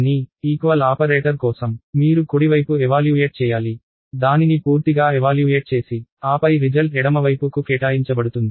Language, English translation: Telugu, But, for the equal to operator you need to evaluate the right hand side get it completely evaluated and then the result is assigned to the left hand side